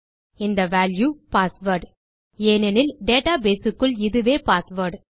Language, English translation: Tamil, So this value is password, because inside our database, this is password here